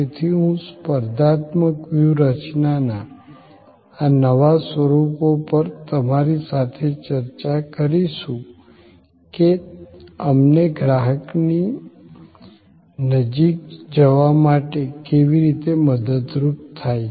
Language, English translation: Gujarati, So, I would look forward to your discussions on these new forms of competitive strategy to what extend it helps us to get closer to the customer